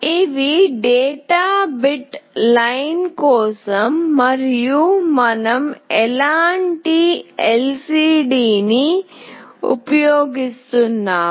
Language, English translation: Telugu, These are for the data bit line and what kind of LCD we are using